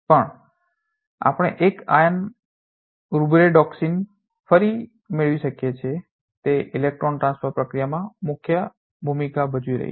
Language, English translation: Gujarati, Also we can have one iron Rubredoxin once again it is playing a key role in electron transfer processes